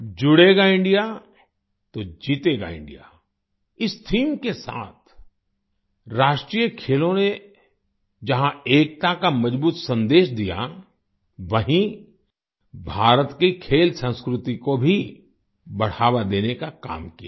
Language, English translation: Hindi, With the theme 'Judega India to Jeetega India', national game, on the one hand, have given a strong message of unity, on the other, have promoted India's sports culture